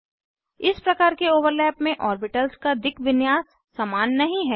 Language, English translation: Hindi, In this type of overlap, orientation of the orbitals is not same